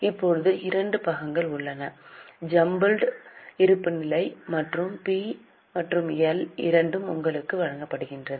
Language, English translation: Tamil, Now there are two parts both the jumbled balance sheet and P&L has been given to you